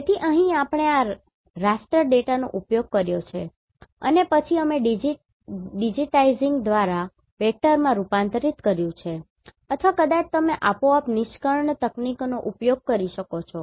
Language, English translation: Gujarati, So, here we have used this raster data and then we have converted into vector by digitizing or maybe you can use the automatic extraction techniques